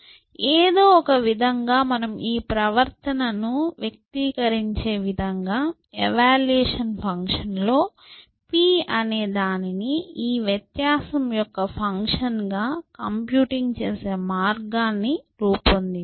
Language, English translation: Telugu, So, somehow I have to devise a way of computing this p as the function of this difference in the evaluation function, in such a way that this behavior is manifested